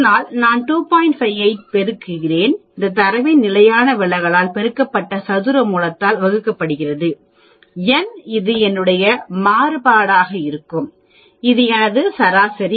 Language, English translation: Tamil, 58, multiplied by the standard deviation of this data and divided by square root of n that will be the variation in my x bar, x bar is my average